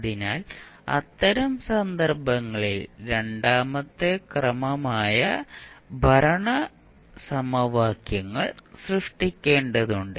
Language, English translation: Malayalam, So, in those case you need to create the governing equations which are the second order in nature